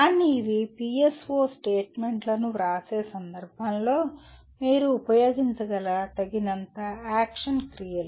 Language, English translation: Telugu, But these are reasonably adequate number of action verbs that you can use in the context of writing PSO statements